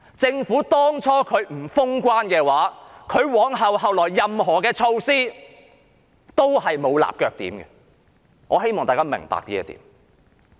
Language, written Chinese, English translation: Cantonese, 政府最初不肯封關，以致繼後實施的任何措施皆沒有立腳點，我希望大家明白這點。, Owing to the Governments refusal to close the border at the outset any subsequent measures that have been implemented are stripped of any basis . I hope Members can understand this point